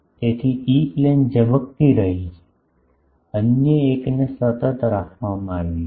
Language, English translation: Gujarati, So, E plane is getting flare the other one is kept constant